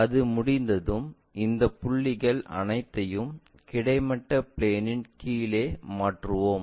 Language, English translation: Tamil, Once that is done, we transfer all these points onto horizontal plane, down